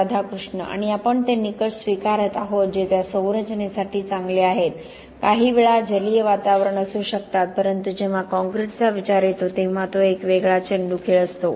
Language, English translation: Marathi, Yeah And we are adopting those criterion which are good for those structures, may be sometimes with aqueous environment but when it comes to concrete it is an all different ball game